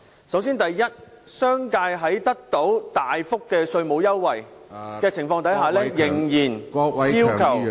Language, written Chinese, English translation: Cantonese, 首先，商界在得到大幅稅務優惠的情況下，仍然要求......, First of all the business sector is the beneficiary of a major tax concession but still they request